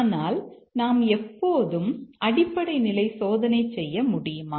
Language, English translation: Tamil, But can we always perform basic condition testing